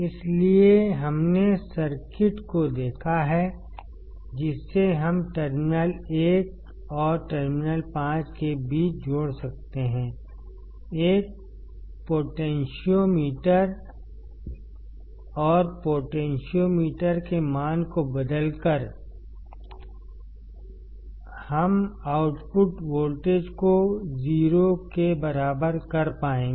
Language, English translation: Hindi, So, we have seen the circuit that we can connect between terminal 1 and terminal 5; a potentiometer and by changing the value of the potentiometer, we will be able to make the output voltage equal to 0